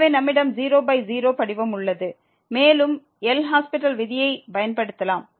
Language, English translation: Tamil, So, we have 0 by 0 form and we can apply the L’Hospital rule